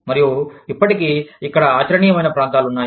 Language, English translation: Telugu, And, there are still areas, where it is still viable